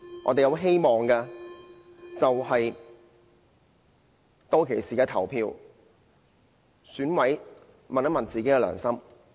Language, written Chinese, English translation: Cantonese, 我們希望的是，當選委投票時，問一問自己的良心。, We hope that all EC members can cast their votes with conscience